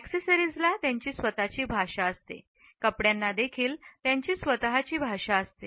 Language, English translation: Marathi, Accessories have their own language; fabrics also have their own language